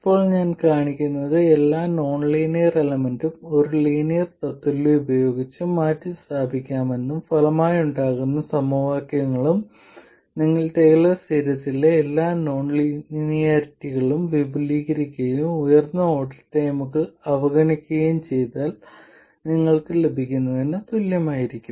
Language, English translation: Malayalam, Now, what I will show is that every nonlinear element can be replaced by a linear equivalent and the resulting equations will of course be the same as what you would get if you expanded every non linearity in a Taylor series and neglected higher order terms